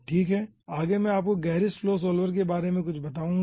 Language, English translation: Hindi, okay, next, i will be telling you something about gerris flow solver